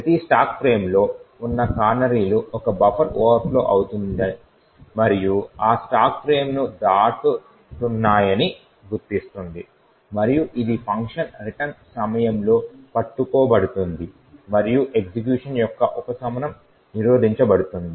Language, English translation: Telugu, The canaries present in each stack frame would detect that a buffer is overflowing and crossing that particular stack frame, and this would be caught during the function return and the subversion of the execution is prevented